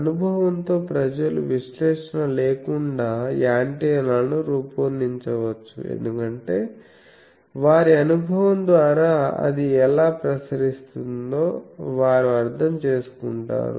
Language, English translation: Telugu, With experience people can design antennas without analysis because, by their experience they understand how it radiates etc